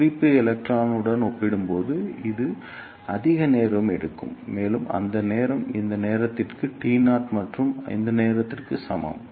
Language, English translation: Tamil, And this will take more time as compared to the reference electron, and that time is equal to this time t naught plus this time